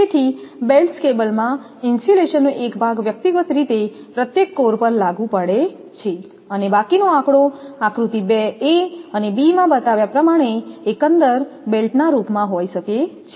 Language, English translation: Gujarati, So, a belted cable has a part of the insulation applied to each core individually and the remainder in the form of an overall belt as shown in figure 2, a and b